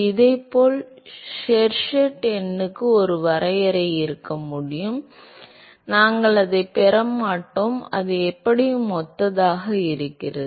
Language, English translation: Tamil, And similarly, one could have a definition for Sherwood number we will not get into that, it is anyway similar